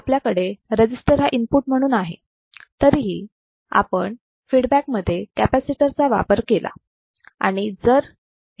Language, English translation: Marathi, we have a resistor as an input, but in the feedback we have used a capacitor